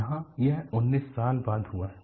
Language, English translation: Hindi, Here, it has happened after 19 years